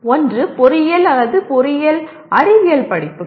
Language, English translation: Tamil, One is engineering or engineering science courses